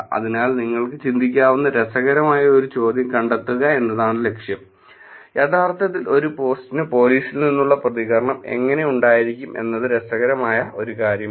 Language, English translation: Malayalam, So, the goal is to find out the one of the one of the interesting questions that you could also think about is how to actually have a post which will have the response from police, that would be also an interesting question to look at